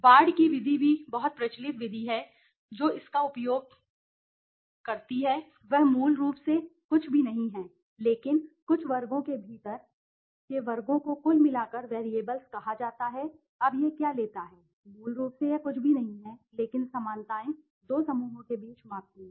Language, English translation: Hindi, Ward s method is also very popular method highly utilized what it does is basically it is nothing but the some of squares within the clusters summed overall the variables, now what it takes basically the it is nothing but the similarities measures between two clusters